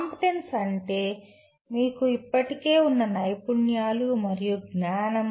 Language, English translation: Telugu, Competency is what the skills and knowledge that you already have